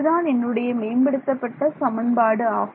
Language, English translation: Tamil, What was my update equation